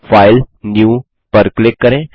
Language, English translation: Hindi, Click on File and Save As